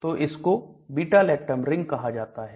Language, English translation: Hindi, So that is the beta lactam ring